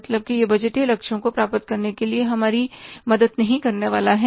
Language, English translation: Hindi, It is not going to mean help us to achieve the budgetary targets